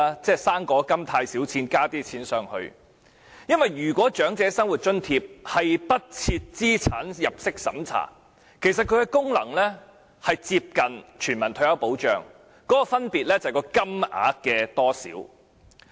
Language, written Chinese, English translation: Cantonese, 因為"生果金"的金額太少，於是再提供一些額外的金錢，如果長者生活津貼不設資產入息審查，其功能便接近全民退休保障，分別只是金額的多少。, Since the amount of the fruit grant is too small an additional amount of money is provided . If there is no means test for OALA its function will be close to that of universal retirement protection . The only difference is the amount of money